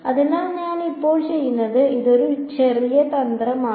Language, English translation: Malayalam, So, what I do now is this is the little bit of a trick